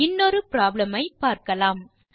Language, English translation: Tamil, Now, let us consider another problem